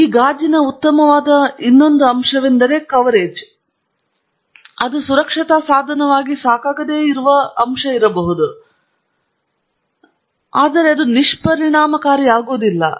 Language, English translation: Kannada, So, one aspect that this glass is not good at is the coverage that it provides, but there is another aspect in which it is not sufficient as a safety device, and that is that this is not shatter proof